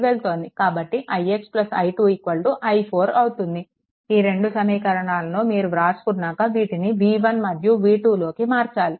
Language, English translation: Telugu, So, it is i x plus i 2 is equal to i 4 these 2 equations you have to write to after that you put in terms of v 1 and v 2